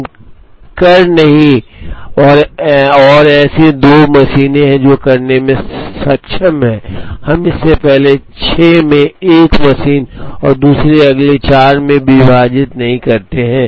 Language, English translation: Hindi, We do not and there are 2 machines that are capable of doing, it we do not split it into first 6 on 1 machine and the next 4 on the other